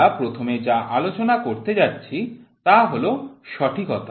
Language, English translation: Bengali, The first thing what we are going to discuss is accuracy